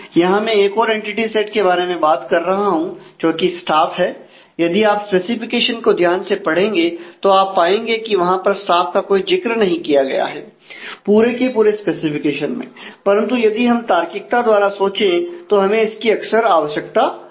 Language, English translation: Hindi, Here, I am talking about another entity sets staff if you again carefully read the specification you will find that there is no mention of this staff in the in the total of the specification, but if we logically think and this is what we often need to do